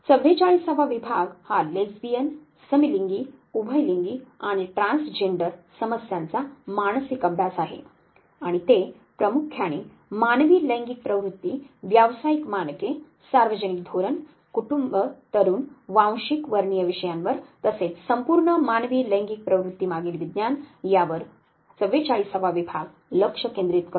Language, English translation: Marathi, And family psychology is the 43rd division which focuses on family and couples the forty four is the psychological study of Lesbian, Gay, Bisexual and Transgender issues and they primarily focus on the whole range of human sexual orientations, professional standards, public policy, youth, families, ethnic/racial issues and as well as science, behind the home human sexual orientation is that the 44 division looks at